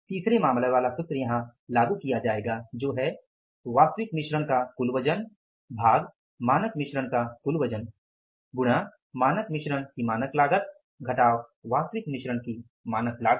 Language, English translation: Hindi, The third case formula will be applied here that is a total weight of actual mix divided by the total weight of standard mix into standard cost of standard mix minus standard cost of the actual mix